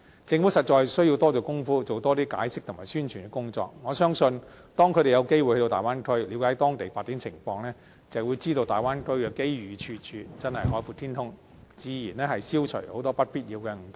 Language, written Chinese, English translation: Cantonese, 政府實在需要多下工夫，多作出解釋和進行宣傳的工作，我相信當他們有機會到大灣區，了解當地發展情況，便會知道大灣區的機遇處處，真是海闊天空，自然消除很多不必要的誤解。, The Government must therefore make more publicity efforts to clarify the matter . I believe that once people have chances to visit the Bay Area and get to know the development over there they will realize that the Bay Area is simply a vast land of opportunities . That way unnecessary misunderstanding can be dispelled in many cases